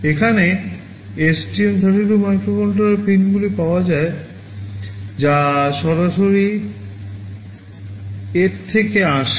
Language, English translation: Bengali, Over here, STM32 microcontroller pins are available that come in directly from the STM32 microcontroller